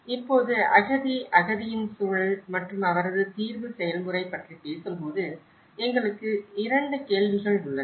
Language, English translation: Tamil, Now, when we talk about the refugee, the context of a refugee and his or her settlement process, so we have two questions